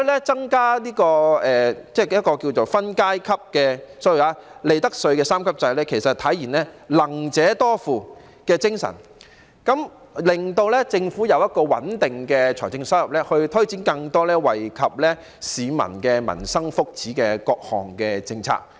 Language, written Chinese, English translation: Cantonese, 增加分階級的 ......sorry， 利得稅三級制可體現"能者多付"的精神，令政府有一個穩定的財政收入來源來推展更多惠及市民民生福祉的各項政策。, The additional tier Sorry a three - tiered profits tax rate regime can realize the principle of ability to pay and enable the Government to have a stable source of revenue to implement more policies which will benefit the livelihood and well - being of the public